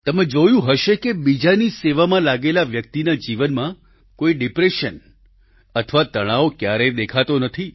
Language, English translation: Gujarati, You must have observed that a person devoted to the service of others never suffers from any kind of depression or tension